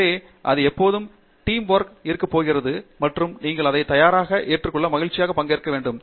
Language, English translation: Tamil, So, it is always going to be Teamwork and you have to be you know willing and happy participant in it